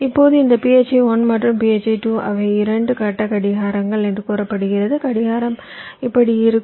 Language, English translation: Tamil, now, this phi one and phi two, they are said to be two phase clocks, the